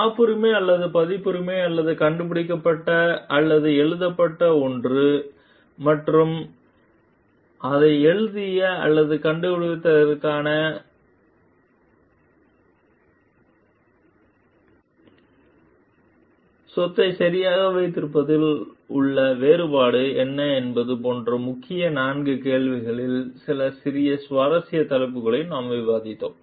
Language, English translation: Tamil, We discussed some small interesting topics in key question 4, like what is the difference in having prorate property right, such as a patent or copyright or something one which is invented or written, and credit for having written or invented it